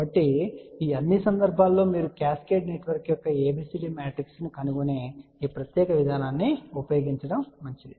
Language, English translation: Telugu, So, for all these cases it is better that you use this particular approach where you find ABCD matrix of the cascaded network